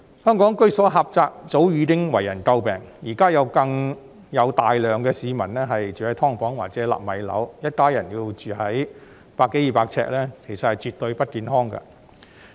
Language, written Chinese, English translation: Cantonese, 香港居所狹窄，早已為人詬病，現在更有大量市民住在"劏房"或者"納米樓"，一家人要住在百多二百平方呎的單位內，其實絕對不健康。, The cramped living spaces in Hong Kong have long come under criticism . Now many people are living in subdivided units or nano flats where a family has to live in a unit of 100 or 200 sq ft . Indeed it is absolutely not healthy